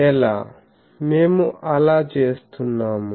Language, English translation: Telugu, How, we are doing that